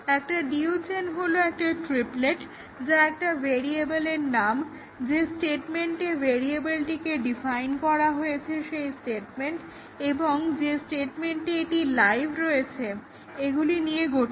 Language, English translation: Bengali, A DU chain is a triplet consisting of the name of a variable the statement at which it is defined and the statement at which it is live